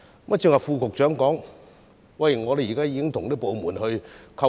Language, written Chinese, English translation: Cantonese, 剛才副局長表示，已與相關部門溝通。, The Under Secretary has just stated that there have been communications with the departments concerned